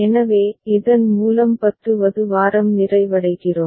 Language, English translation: Tamil, So, with this we come to the completion of week 10